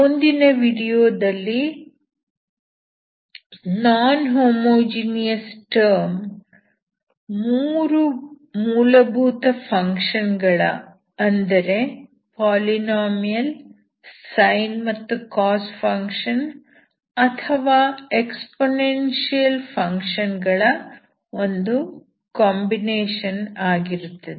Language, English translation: Kannada, In the next video when the non homogeneous term is a combination of 3 elementary functions such as polynomial, sin of cosine functions or exponential function